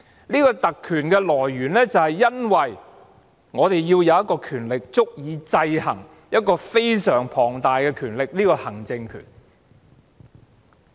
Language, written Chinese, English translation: Cantonese, 這項特權的來源是因為我們要有一項權力，足以制衡另一個非常龐大的權力，即行政權。, Such a privilege originated from our need for a power strong enough to counteract another huge power ie . the executive power